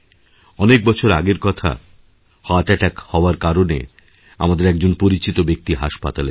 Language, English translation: Bengali, Once, many years ago, one of our acquaintances was admitted to a hospital, following a heart attack